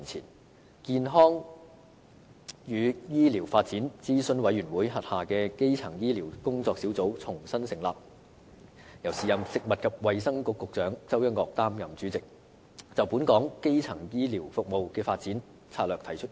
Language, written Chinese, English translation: Cantonese, 當時，健康與醫療發展諮詢委員會轄下的基層醫療工作小組重新成立，由時任食物及衞生局局長周一嶽擔任主席，就本港基層醫療服務的發展策略提出意見。, Back then the Working Group on Primary Care WGPC under the Health and Medical Development Advisory Committee HMDAC chaired by the then Secretary for Food and Health Dr York CHOW was reconvened to advise on strategic directions for the development of primary care in Hong Kong